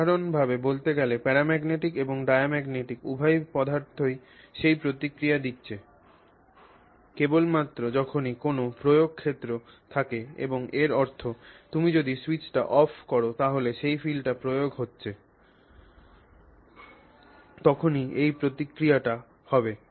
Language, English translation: Bengali, Generally speaking, both paramagnetic and diamagnetic materials are giving you that response only when there is an applied field and so that means when you switch off the field, let's say you have applied this level of field, whatever is this level of field, you apply this field and then these are the responses you are getting